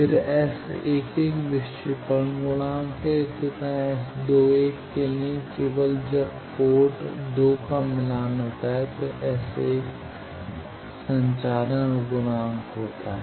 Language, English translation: Hindi, Then S 11 is deflection coefficient, similarly for S 21 only when port 2 is matched S 21 is transmission coefficient